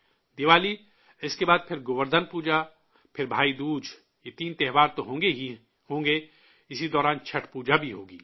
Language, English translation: Urdu, Diwali, then Govardhan Puja, then Bhai Dooj, these three festivals shall of course be there and there will also be Chhath Puja during this interregnum